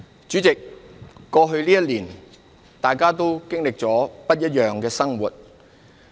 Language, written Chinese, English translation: Cantonese, 主席，過去這一年，大家都經歷了很不一樣的生活。, President over the past year we all have experienced a very different life